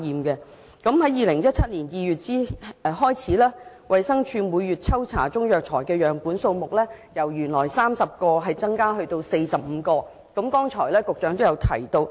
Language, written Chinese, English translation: Cantonese, 局長剛才亦提到，自2017年2月起，衞生署每月抽查的中藥材樣本數目由原來的30個增至45個。, Earlier on the Secretary also mentioned that the number of samples of Chinese herbal medicines taken by DH for testing had increased from the original 30 to 45 per month starting from February 2017